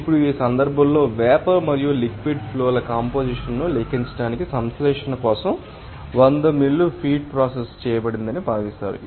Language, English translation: Telugu, Now calculate the composition of the vapor and liquid streams in this case considered that hundred mil of feed is processed for the synthesis